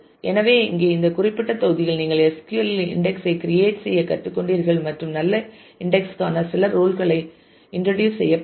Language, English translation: Tamil, So, here in this particular module you have learned to create index in SQL and introduce few rules for good index